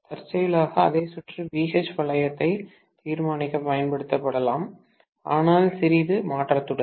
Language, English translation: Tamil, Incidentally the same circuit can be used for determining BH loop but with a little bit of modification